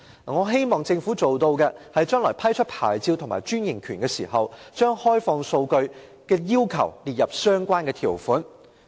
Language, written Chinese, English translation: Cantonese, 我希望政府將來批出牌照和專營權的時候，將開放數據的要求列入相關條款。, I hope the Government will include the requirement of open data in the relevant terms when granting the licence and franchise in the future